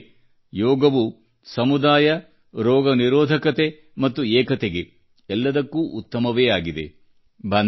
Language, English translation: Kannada, Truly , 'Yoga' is good for community, immunity and unity